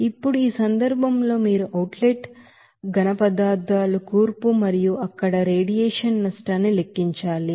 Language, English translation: Telugu, Now in this case, you have to calculate the composition of the outlet solids and the radiation loss there